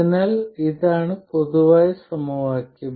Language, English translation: Malayalam, So, this is the great simplification